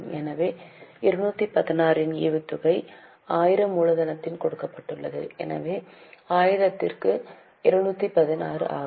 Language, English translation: Tamil, So, say a dividend of 216 is given on a capital of 1000